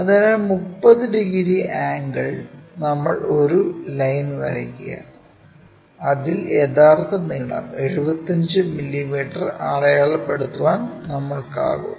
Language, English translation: Malayalam, So, 30 degree angle a line we have to draw, in such a way that we will be in a position to mark true length 75 mm